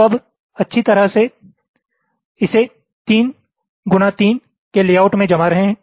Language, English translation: Hindi, so now, nicely, we are fitting it into a three by three kind of a layout